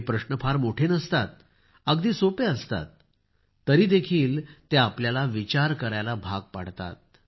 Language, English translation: Marathi, These questions are not very long ; they are very simple, yet they make us think